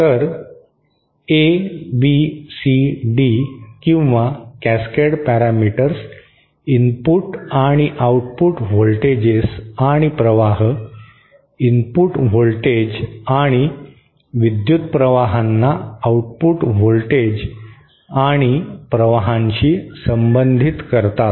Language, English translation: Marathi, So, ABCD or Cascade parameters relate the input and output voltages and currents, input voltages and currents to the output voltages and currents